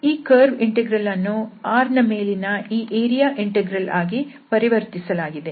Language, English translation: Kannada, So this curve integral is transformed to this area integral, the integral over the domain R